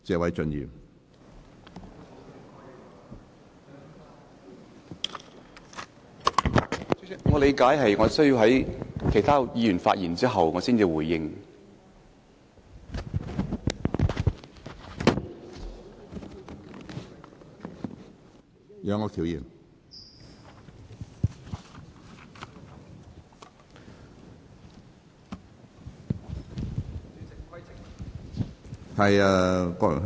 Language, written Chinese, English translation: Cantonese, 主席，據我理解，我應在其他議員發言後才作出回應。, President according to my understanding I should reply after other Members have delivered their speeches